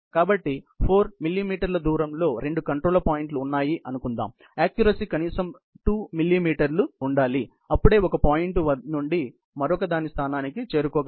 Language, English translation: Telugu, So, supposing there are two control points, which are 4 mm distance; the accuracy should be at least, 2 mm for it to be enabled to position